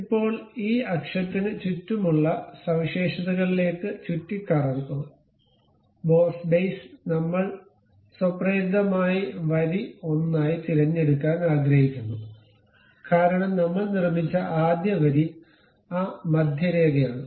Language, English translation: Malayalam, Now, go to features revolve boss base around this axis we would like to have which is automatically selected as line 1, because the first line what we have constructed is that centre line